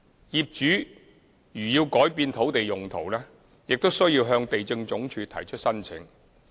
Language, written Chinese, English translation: Cantonese, 業主如要改變土地用途，須向地政總署提出申請。, Owners who wish to change the land uses must submit applications to the Lands Department LandsD